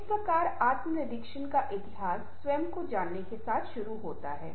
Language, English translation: Hindi, thus the history of intrapersonal communication begins with knowing ourselves